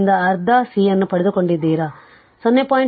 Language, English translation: Kannada, So, we have got your half C is given 0